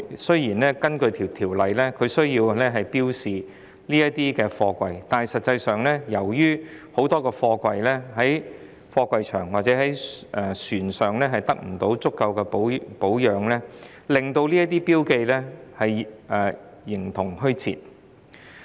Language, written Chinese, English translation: Cantonese, 雖然根據《條例草案》需要標示這些貨櫃，但實際上，由於很多貨櫃在貨櫃場或在船上得不到足夠的保養，令這些標記形同虛設。, Although these containers are required under the Bill to be marked in reality these markings are rather useless because of inadequate maintenance of the containers in container yards or on the ships